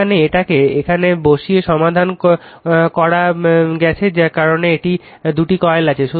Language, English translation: Bengali, Now you can solve it by putting this thing because 2 coils are there right